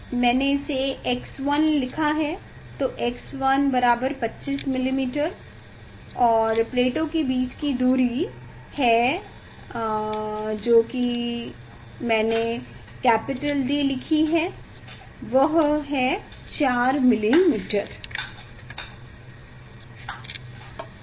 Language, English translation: Hindi, x 1 is 25 millimetre and distance between the plates that is capital D I have written